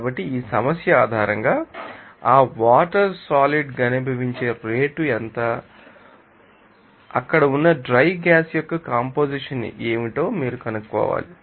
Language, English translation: Telugu, So, based on this problem, you have to find out what is the rate at which that water will be condensed out and what is the composition of the dry gas there